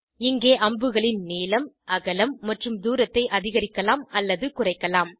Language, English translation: Tamil, Here we can increase or decrease Length, Width and Distance of the arrows